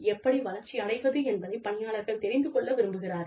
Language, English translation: Tamil, Employees like to know, how they can grow